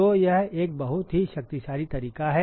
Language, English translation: Hindi, So, that is a very powerful method